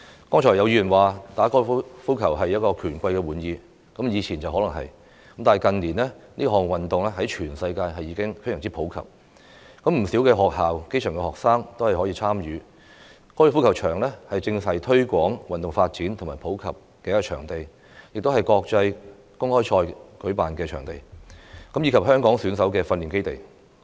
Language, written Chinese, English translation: Cantonese, 剛才有議員說，打高爾夫球是權貴的玩意，以前可能是，但近年這項運動在全世界已經非常普及，不少學校、基層學生也可以參與，高爾夫球場正是推廣運動發展與普及的場地，亦是舉辦國際公開賽的場地，以及香港選手的訓練基地。, Some Members say that golf is a game for the rich and the powerful which might be true in the past . However in recent years the sport has become very popular around the world and more accessible to schools and grass - root students . The golf course serves to promote and popularize the sport as the venue for international open championships as well as the training base of Hong Kong athletes